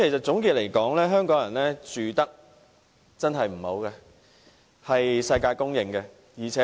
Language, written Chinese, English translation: Cantonese, 總括而言，香港人的居住環境確實很差，這是世界公認的。, All in all it is a well acknowledged fact that Hong Kong peoples living conditions are highly undesirable